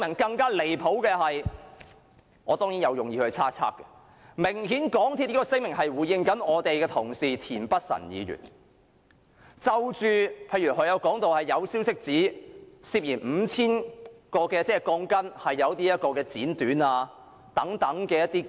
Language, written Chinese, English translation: Cantonese, 更離譜的是，我當然是有意猜測，港鐵公司這項聲明明顯是針對我們的同事田北辰議員，例如他曾說有消息指涉嫌有 5,000 條鋼筋被剪短等。, More outrageously and I am certainly speculating MTRCLs statement is obviously targeting at our colleague Mr Michael TIEN . Mr TIEN has for instance said that according to some information 5 000 steel bars were suspected to have been cut short